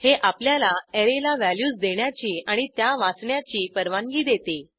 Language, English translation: Marathi, It allows us to read and assign values to an Array